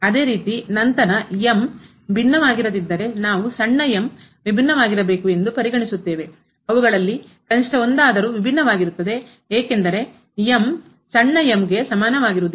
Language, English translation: Kannada, Similarly we will consider later on if is not different then the small should be different at least one of them will be different because is not equal to small